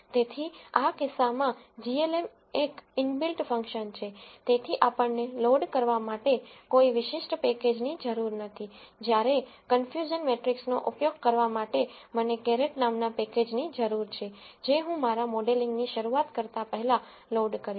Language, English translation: Gujarati, So, in this case glm is an inbuilt function so we do not need any specific package to loaded whereas to use the confusion matrix I need a package called carrot which I am going to load before I begin my modeling